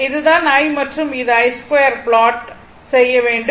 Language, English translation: Tamil, This i, this is i and this is i square, this is i square plot right